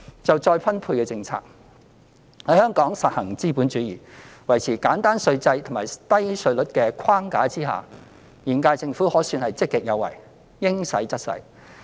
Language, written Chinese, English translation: Cantonese, 就再分配政策，香港實行資本主義，在維持簡單稅制和低稅率的框架之下，現屆政府可算是積極有為，應使則使。, Regarding the redistribution policy under the implementation of the capitalist system in Hong Kong and the framework of preserving a simple tax regime with low tax rates the current - term Government has all along been proactive and spending only when necessary